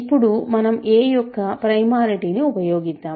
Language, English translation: Telugu, So, now let us use primality of a